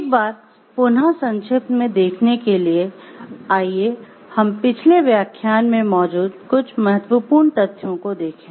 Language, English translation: Hindi, To have a recapitulation let us look back into the some of the important discussions we had on the last lecture